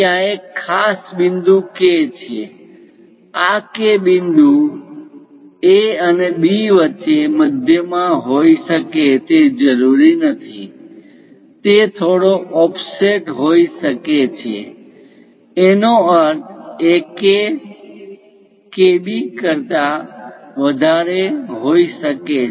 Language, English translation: Gujarati, There is a special point K; this K point may not necessarily be at midway between A and B; it might be bit an offset; that means, AK might be larger than KB